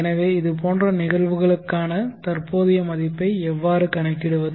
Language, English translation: Tamil, So how do we calculate the present words for such cases